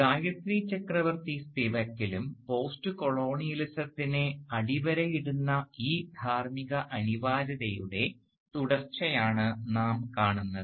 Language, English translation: Malayalam, And, in Gayatri Chakravorty Spivak too, we find a continuation of this ethical imperative that underlines post colonialism